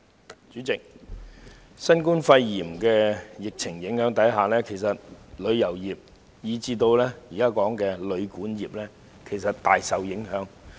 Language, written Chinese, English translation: Cantonese, 代理主席，在新冠肺炎疫情影響下，旅遊業及現時所討論的旅館業其實大受影響。, Deputy President both the tourism industry and the hotelguesthouse sector now under discussion are greatly affected indeed under the influence of COVID - 19 pandemic